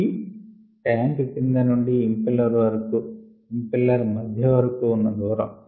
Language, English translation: Telugu, c is the distance from the bottom of the tank to the middle of the impeller